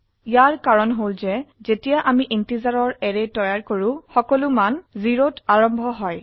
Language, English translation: Assamese, This is because when we create an array of integers, all the values are initialized to 0